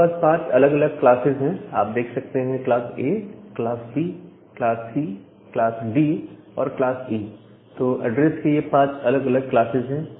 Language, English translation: Hindi, And we have five different classes from class A, class B, class C, class D, and class E, so this five different classes of addresses